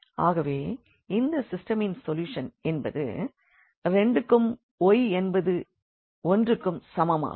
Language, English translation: Tamil, So, the solution is x is equal to 2 and y is equal to 1 of this system